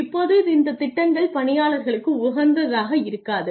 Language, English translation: Tamil, Now these plans are not employee friendly